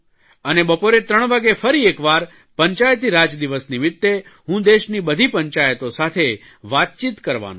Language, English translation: Gujarati, At 3 in the afternoon I shall be talking to all panchayats of the country